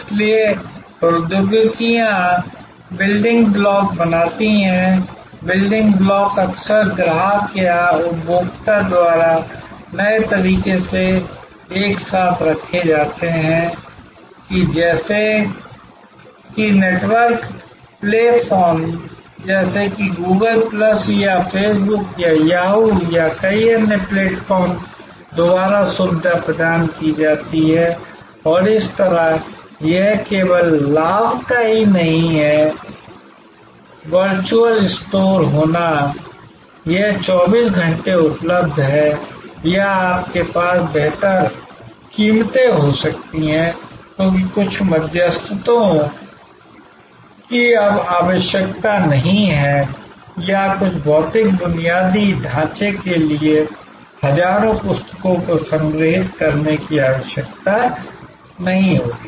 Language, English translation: Hindi, So, the technologies create building blocks, the building blocks are put together often by the customer or the consumer in innovative ways facilitated by network platforms like Google plus or Face Book or Yahoo or many other platforms and thereby, it is not only the advantage of having a virtual store; that it is available 24 hours or you can have better prices, because some intermediaries are no longer required or some physical infrastructure will no longer be required to store thousands of books